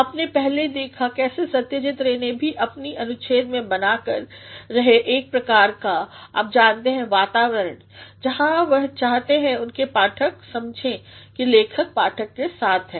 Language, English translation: Hindi, You have earlier seen how Satyajit Ray also in his paragraph is creating a sort of, you know atmosphere, where he wants his reader to understand that the writer is with the reader